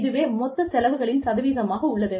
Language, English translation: Tamil, And, that is a percentage of the total expenses incurred